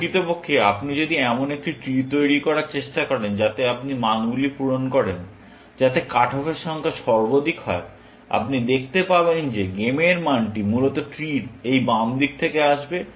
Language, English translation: Bengali, In fact, if you try to construct a tree in which, you fill in values, so that, the number of cut offs are maximum, you will see that the game value will come from this left side of the tree, essentially